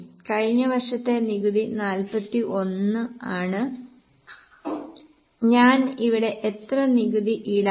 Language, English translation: Malayalam, Now last year's tax is 41